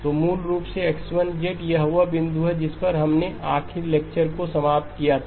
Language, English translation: Hindi, So basically X1 of z, this is the point at which we ended the last lecture